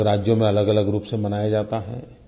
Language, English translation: Hindi, It is celebrated in different states in different forms